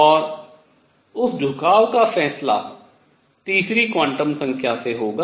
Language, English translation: Hindi, And that tilt is going to be decided by a third quantum number